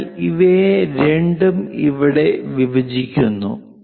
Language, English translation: Malayalam, So, both of them are intersecting here